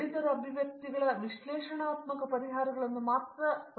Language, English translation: Kannada, They should look for the analytical solutions of the mathematical expressions